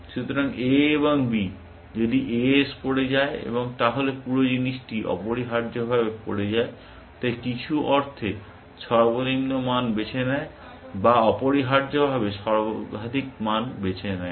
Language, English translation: Bengali, So, a and b, if a falls and the whole thing becomes falls essentially, so and also in some sense chooses the minimum value or chooses the maximum value essentially